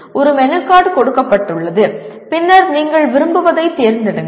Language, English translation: Tamil, That is a menu card is given and then you pick what you want